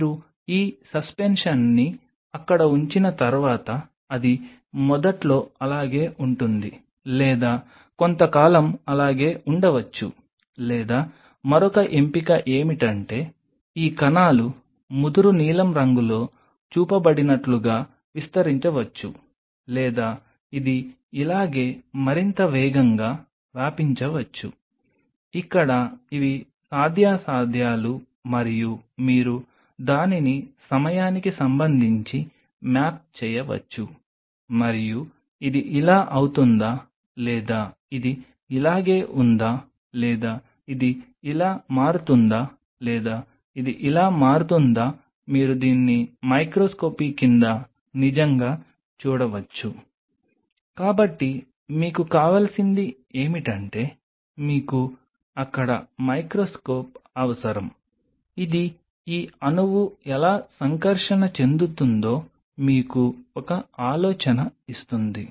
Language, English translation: Telugu, Once you put this suspension out there, either it will remain like this initially or may remain it for a while or the other option is that it may spread out like this cells are shown in dark blue or it may spread even faster like this, where these are the possibilities and you can map it with respect to time and does this one becomes like this, or this one remains like this, or this one becomes like this you really can see it under the microscopy So, what you needed is that you needed a microscope over there which will give you an idea that how this molecule is interacting